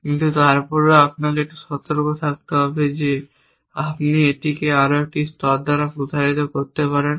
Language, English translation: Bengali, But, even then you have to be a bit careful that you can extend it by one more layer and